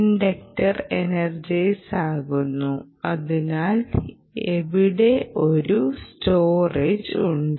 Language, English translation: Malayalam, the inductor gets energized and there is storage